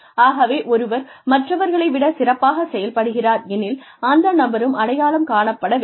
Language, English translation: Tamil, So, if somebody outperforms others, then that person should be recognized also